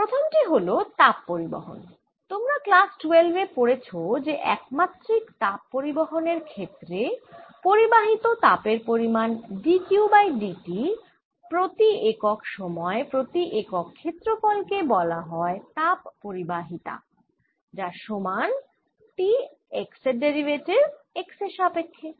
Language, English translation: Bengali, you have learnt in your twelfth rate that heat flow in one dimension, the amount of heat d, q, d, t, percent, unit time, per unit area is actually equal to the thermal conductivity and the differential derivative of t s respective x